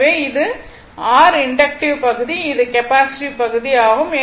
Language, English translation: Tamil, Because, one is inductive another is capacitive